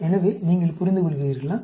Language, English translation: Tamil, So, you understand